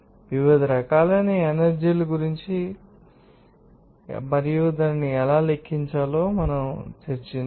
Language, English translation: Telugu, Let us talk about the different forms of energy and how it can be calculated